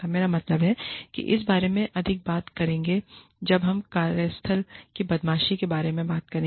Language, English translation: Hindi, I mean, we will talk more about this, when we talk about, workplace bullying